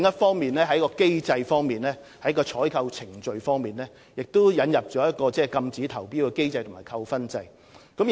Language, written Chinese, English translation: Cantonese, 此外，在機制上，我們亦就採購程序引入禁止投標機制和扣分制度。, Moreover we have also put in place a barring from tender mechanism and a demerit point system in the procurement procedures